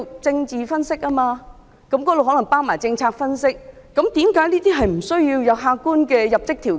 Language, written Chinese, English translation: Cantonese, 政治分析可能包括政策分析，為何不需要客觀的入職條件？, Political analyses may include policy analyses why are objective entry requirements not necessary?